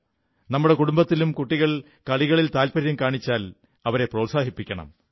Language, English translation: Malayalam, If the children in our family are interested in sports, they should be given opportunities